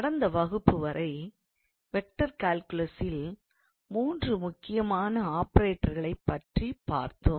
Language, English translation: Tamil, So, up until last class we looked into three important operators in vector calculus